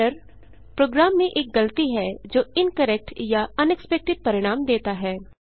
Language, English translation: Hindi, Error is a mistake in a program that produces an incorrect or unexpected result